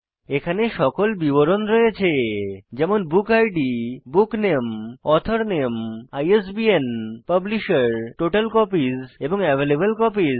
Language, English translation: Bengali, It has all the details like Book Id, BookName,Author Name, ISBN, Publisher, Total Copies and Available copies